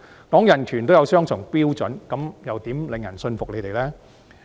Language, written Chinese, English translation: Cantonese, 談人權也有雙重標準，那怎樣能令人信服他們呢？, If they even hold double standards in human right discussions how can they possibly convince others?